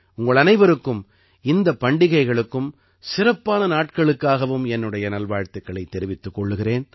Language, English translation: Tamil, I wish you all the best for these festivals and special occasions